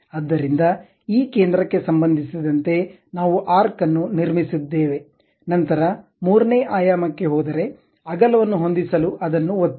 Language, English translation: Kannada, So, with respect to this center, we have constructed an arc, then move to third dimension to decide the width moved and clicked it